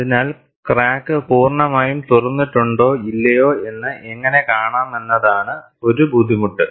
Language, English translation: Malayalam, So, one of the difficulties is, how to see whether the crack is fully opened or not